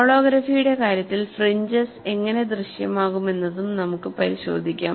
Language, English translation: Malayalam, And we will also have a look at, how the fringes appear in the case of holography